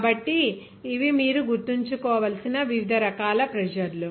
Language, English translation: Telugu, So, these are the various types of pressure that you have to remember